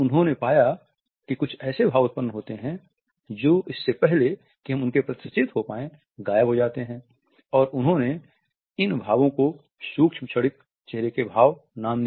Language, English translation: Hindi, They noted that certain expressions occur and go even before we become conscious of them and they gave them the name micro momentary facial expressions